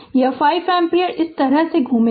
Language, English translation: Hindi, This is this this 5 ampere will circulate like this